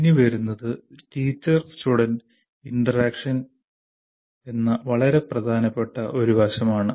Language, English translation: Malayalam, Now comes very important aspect, namely teacher student interaction